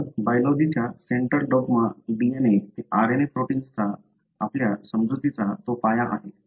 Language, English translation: Marathi, So, that is the foundation for our understanding of central dogma of biology; DNA to RNA to protein